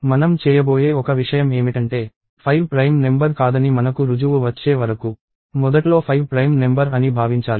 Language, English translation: Telugu, So, one thing we are going to do is we are going to assume that 5 is a prime number initially, until we have a proof that 5 is not prime